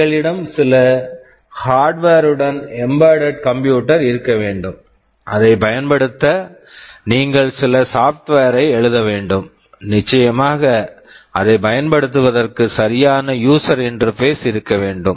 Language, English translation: Tamil, We have to have an embedded computer with some hardware, you have to write some software to do it, and of course there has to be a proper user interface to make it usable